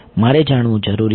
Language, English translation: Gujarati, I need to know